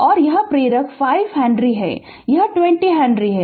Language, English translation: Hindi, And this inductor is 5 henry this is 20 henry